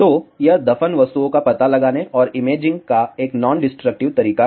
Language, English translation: Hindi, So, this is a non destructive method of detection and imaging of buried objects